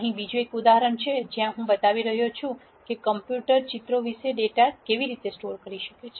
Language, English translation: Gujarati, Here is another example where I am showing how a computer might store data about pictures